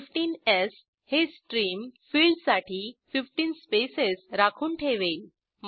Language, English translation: Marathi, 15s will reserve 15 spaces for Stream field